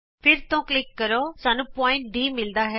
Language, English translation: Punjabi, Then click again we get point D